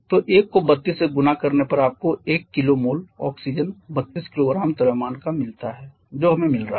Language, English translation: Hindi, So, 1 into 32 gives you the mass of 1 kilo mole of oxygen 32 kgs we are getting